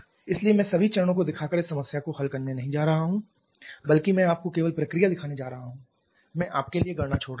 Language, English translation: Hindi, So, we have I am not going to solve this problem by showing all the steps rather I am just going to show you the procedure I am leaving the calculation to you